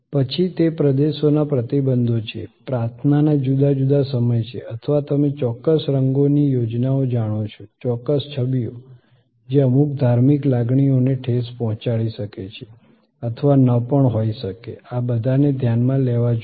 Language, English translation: Gujarati, Then, they are regions restrictions, different times of prayer or you know the certain colors schemes, certain images, which may or may not may of offend some religious sentiments all these have to be thought off